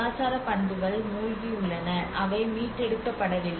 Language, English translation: Tamil, Similarly, in the cultural properties which has been submerged they are not restored